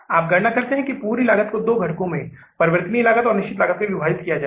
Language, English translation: Hindi, You calculate that, means divide the whole cost into two components, variable cost and the fixed cost